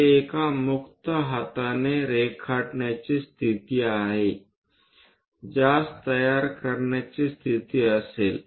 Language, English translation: Marathi, This is of a free hand sketch one will be in a position to construct it